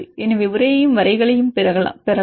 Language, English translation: Tamil, So, we can get the text as well as for the graphical